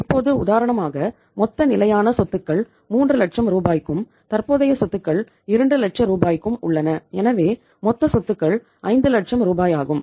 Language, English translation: Tamil, Now for example you see that we have again the situation like the total fixed assets are for 3 lakh rupees and the current assets are for 2 lakh rupees so total assets are 5 lakh rupees right